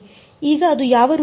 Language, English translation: Kannada, So now, it is in the what form